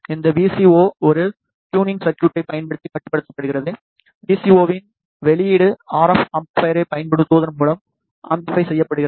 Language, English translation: Tamil, This VCO is controlled using a tuning circuit the output of the VCO is amplified by using an RF amplifier